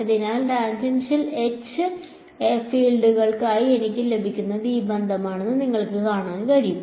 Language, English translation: Malayalam, So, you can see that this relation is what I will get for tangential H fields